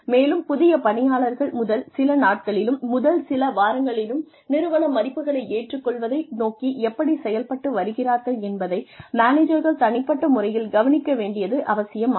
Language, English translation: Tamil, And, managers need to take special note of the progress, new employees are making, in the first few days and weeks, towards adopting the values of the organization